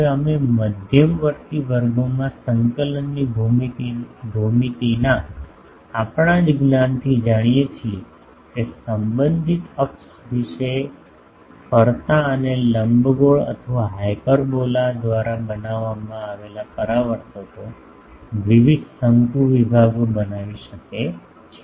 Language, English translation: Gujarati, Now we know from our knowledge of coordinate geometry in intermediate classes, that reflectors made by rotating and ellipse or hyperbola about the respective axis can form various conic sections